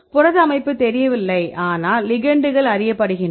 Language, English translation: Tamil, If protein structure is not known, but ligands are known